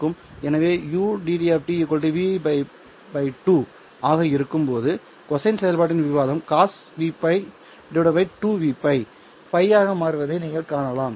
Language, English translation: Tamil, So when UD of t is equal to v pi by 2, then you see that the argument of the cosine function becomes cause of v pi by 2 v pi there is also a pi